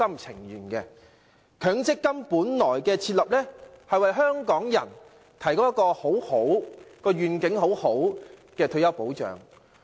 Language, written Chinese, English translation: Cantonese, 設立強積金的原意是為香港人提供一個有良好願景的退休保障。, The original intent of introducing the MPF is to provide retirement protection with a positive vision to Hongkongers